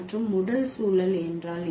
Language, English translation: Tamil, And what are the physical context